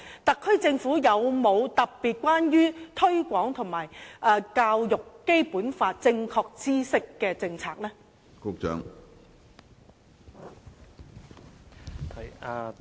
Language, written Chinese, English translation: Cantonese, 特區政府有否特別是關於推廣及教育《基本法》正確知識的政策？, Does the HKSAR Government have policies particularly relating to the promotion and teaching of the accurate knowledge of the Basic Law?